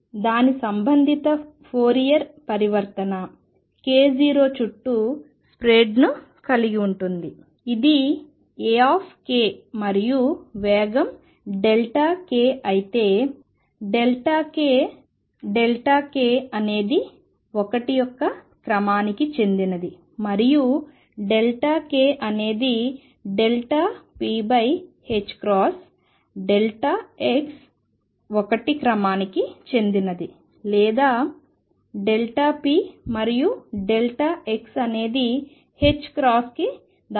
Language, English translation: Telugu, And the corresponding Fourier transform has a spread around k 0 this is A k and speed is delta k then delta k delta x is of the order of 1, and delta k is nothing but delta p over h cross delta x is of the order of 1, or delta p and delta x is of the order of h cross